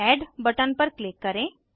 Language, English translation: Hindi, Click on Add button